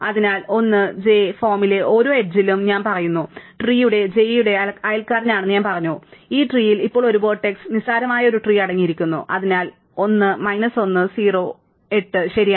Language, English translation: Malayalam, So, I say for every edge one of the form 1, j, I said that the neighbour of j in the tree, so the tree now consists of just this one vertex and trivial tree which has one vertex and therefore, 1 1 0 edges, right